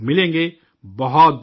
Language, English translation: Urdu, I thank you